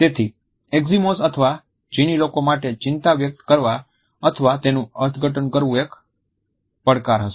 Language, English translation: Gujarati, Thus, would be a challenge for Eskimos or the Chinese to express anxiety or interpret it in other